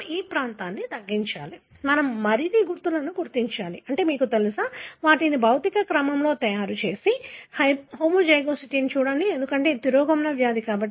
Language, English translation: Telugu, We need to narrow down the region, we need to identify more markers, you know, make them in physical order and look at the homozygosity, as to, because this is a recessive disease